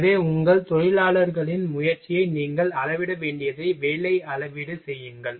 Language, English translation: Tamil, So, work measurement what you will have to measure the effort of your workers